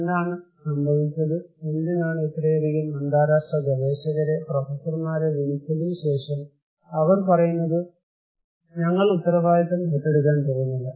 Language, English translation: Malayalam, What happened, why after calling so many international researchers, professors, they are saying that this is what we are not going to take the responsibility